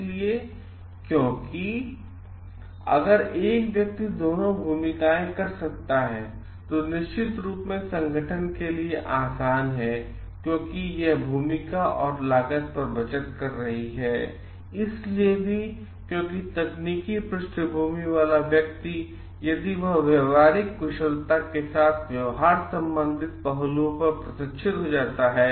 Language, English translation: Hindi, So, because if one person can do both the roles then it is of course, easy for the organization to because it is saving on the role on the cost and also because the person with technical background if he can be trained on the soft skill part on the behavioral aspect part